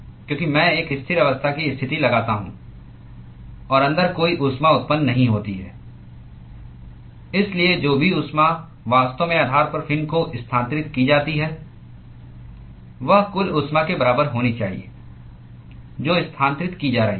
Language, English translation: Hindi, Because I impose a steady state condition, and there is no heat generation inside, so whatever heat that is actually transferred to the fin at the base should be equal to whatever total heat that is being transferred